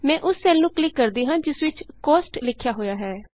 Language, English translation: Punjabi, I will click on the cell which has Cost written in it